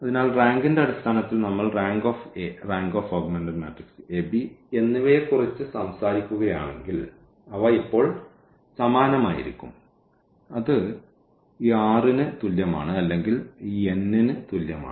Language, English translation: Malayalam, So, in terms of the rank now if we talk about the rank of the A and rank of the A b, so, they will be the same now and that is equal to this r or equal to this n